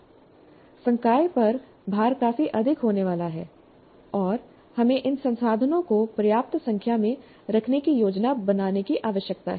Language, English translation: Hindi, So the load on the faculty is going to be fairly substantial and we need to plan to have these resources adequate in number